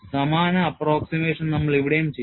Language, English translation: Malayalam, We will also do the same approximation here